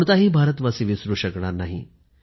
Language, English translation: Marathi, No Indian can ever forget